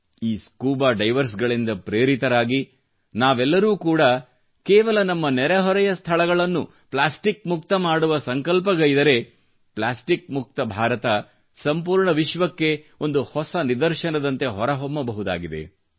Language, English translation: Kannada, Pondering over, taking inspiration from these scuba divers, if we too, take a pledge to rid our surroundings of plastic waste, "Plastic Free India" can become a new example for the whole world